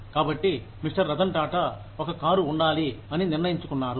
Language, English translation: Telugu, Rattan Tata decided that, there should be a car